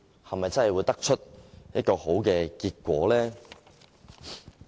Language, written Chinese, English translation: Cantonese, 是否真的會得出好結果呢？, Will the amendments yield any positive outcomes at all?